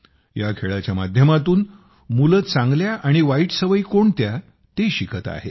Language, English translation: Marathi, Through play, children learn about good and bad habits